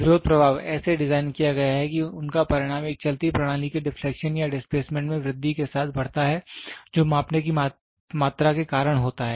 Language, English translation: Hindi, The opposing effect is so designed that their magnitudes increases with an increase in the deflection or displacement of a moving system which is caused by the measuring quantity